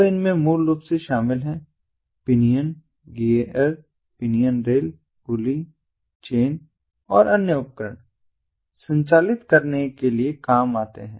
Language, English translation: Hindi, so this basically involves these gears, the pinions gears, pinions rails, pulleys, chains and other devices to operate